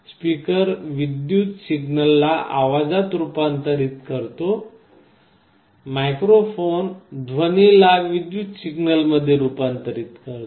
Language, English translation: Marathi, A speaker converts an electrical signal to sound; microphone converts sound into electrical signals